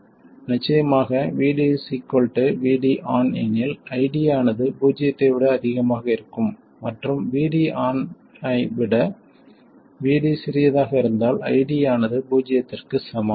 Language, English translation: Tamil, Of course, VD equals VD on if ID is greater than 0 and ID equals 0 if VD is smaller than VD on